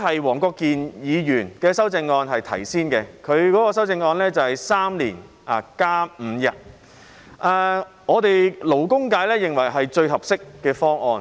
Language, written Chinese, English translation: Cantonese, 黃國健議員的修正案是在3年內增加5天假期，由於他先提出修正案，勞工界認為是最合適的方案。, Mr WONG Kwok - kins amendment seeks to increase five additional holidays in three years . Since Mr WONG is the first Member to propose an amendment the labour sector considers this the most appropriate proposal